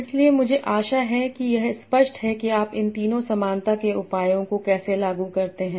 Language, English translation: Hindi, So I hope it is clear that how do you apply these three different similarity measures